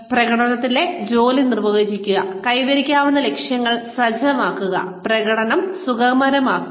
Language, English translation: Malayalam, Define the job in performance, and set achievable goals, facilitate performance